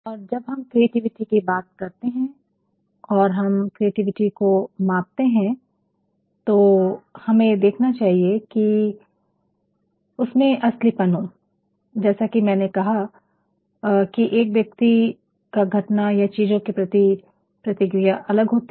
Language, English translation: Hindi, And, then when we talk about creativity or when we are going to measure creativity, we also should see that it is originality, it is originality as I had said earlier that a person response to an event or a think differently